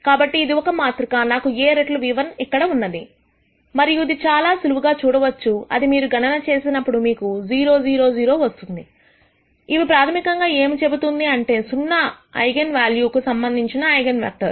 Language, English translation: Telugu, So, this is a matrix, I have a times nu1 here and you can quite easily see that when you do this computation, you will get this 0, 0, 0; which basically shows that this is the eigenvector corresponding to zero eigenvalue